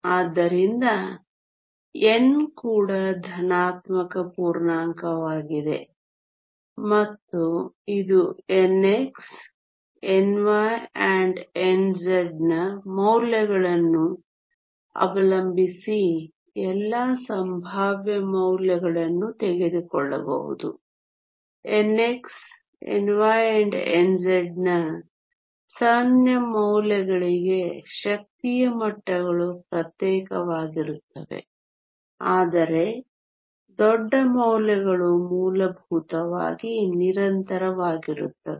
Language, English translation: Kannada, So, n is also a positive integer and it can take all possible values depending on the values of n x and n y and n z for small values of n x, n y and n z the energy levels are discrete, but for large values were essentially continuous